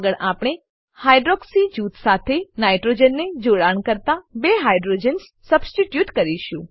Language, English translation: Gujarati, Next, we will substitute two hydrogens attached to nitrogen with hydroxy group